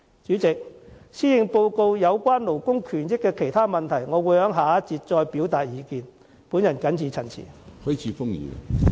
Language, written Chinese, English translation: Cantonese, 有關施政報告中勞工權益的其他問題，我會在下一個辯論環節再表達意見，我謹此陳辭。, I will further express my views on other issues concerning labour rights and interests mentioned in the Policy Address in the next debate session . I so submit